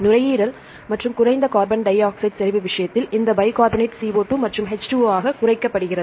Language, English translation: Tamil, In the case of lungs and low carbon dioxide concentration, this bicarbonate this is reduced to CO2 plus H2O